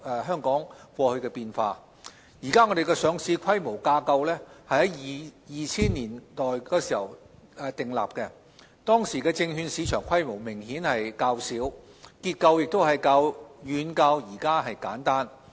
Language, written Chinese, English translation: Cantonese, 香港現行的上市規管架構於2000年代訂立，當時的證券市場規模明顯較小，結構亦遠較目前簡單。, The existing listing regulatory structure was formulated in the 2000s when the securities market was remarkably smaller in scale and far simpler in structure